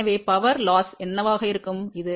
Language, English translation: Tamil, So, what will be the power loss in this